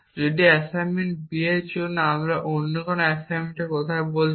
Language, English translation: Bengali, If for assignment B so we are talking of other assignment know what are assignments